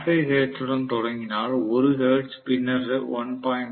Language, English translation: Tamil, 5 hertz, then 1 hertz, then 1